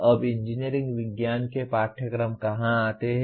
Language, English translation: Hindi, Now where do the engineering science courses come to